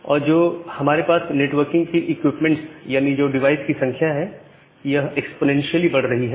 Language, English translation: Hindi, And the number of devices that is the networking equipment that we have, they are increasing exponentially